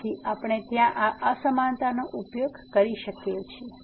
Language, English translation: Gujarati, So, we can use this inequality there